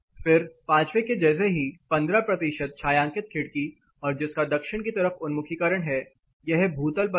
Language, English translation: Hindi, Further same as 5 that are 15 percent shaded window south facing, but it is on the ground floor